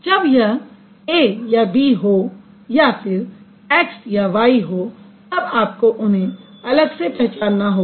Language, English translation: Hindi, So, when it is A and B or X and Y, you should be able to distinguish them separately